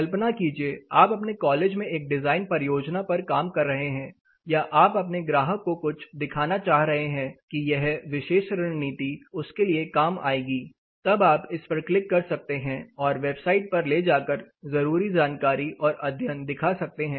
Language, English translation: Hindi, Say imagine wherever we know working for your design project in your college or you are wanting to show something to your client saying this particular strategy will work you can click this it will take it you know take you know straight to the website where they have a repository of case studies and associated information